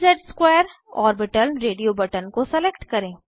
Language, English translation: Hindi, Select dz^2 orbital radio button